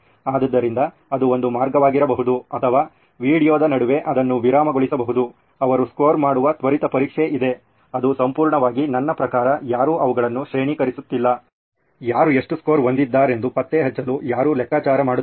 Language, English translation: Kannada, So that could be one way or in between the video it is paused, there is a quick test that they score, it is totally, I mean nobody is grading them, nobody is figuring out to keeping track of how much score they have